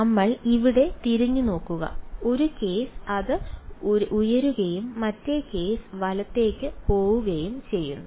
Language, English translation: Malayalam, So, we look back over here one case its going up and the other case is going down right